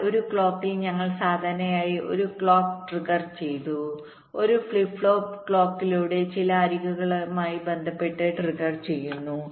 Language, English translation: Malayalam, ok, but in a clock, typically we implement a clock triggered flip flop, a flip flop triggered by a clock with respect to some of the edges